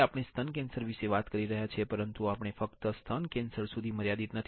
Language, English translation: Gujarati, Now, we are talking about breast cancer, but we are not limited to breast cancer